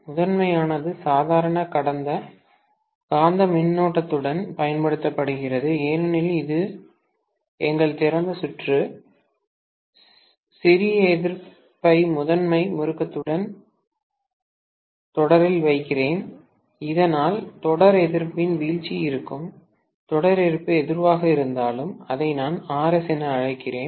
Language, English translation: Tamil, The primary is applied with the normal magnetising current because it is our open circuit, let me put the small resistance in series with the primary winding, so that the drop in the series resistance will be, whatever the series resistance, let me call that as Rs